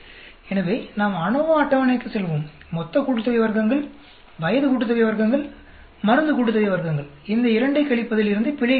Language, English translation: Tamil, So, let us go to our ANOVA table; total sum of squares, age sum of squares, drug sum of squares, error is got from subtracting these two